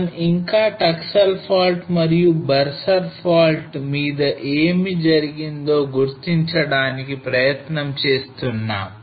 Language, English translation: Telugu, Still we have been trying to identify on what happened on the Taksal fault and Barsar fault